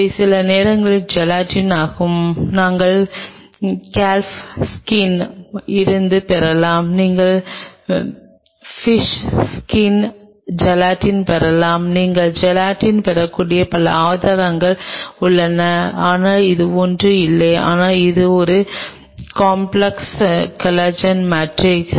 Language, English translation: Tamil, This is gelatin at times could we get from Calf Skin, you can get fish skin gelatin there are several sources from where you can get the gelatin, but it is nothing, but it is a complex collagen matrix